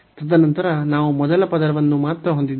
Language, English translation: Kannada, And then we have only the first term